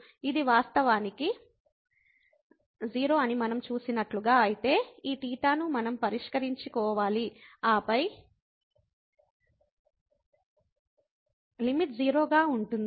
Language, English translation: Telugu, As we have seen that this is indeed 0, but in that case we have to fix this theta and then the limit is 0